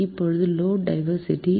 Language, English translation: Tamil, right now, load diversity